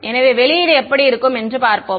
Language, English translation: Tamil, So, let us see what the output looks like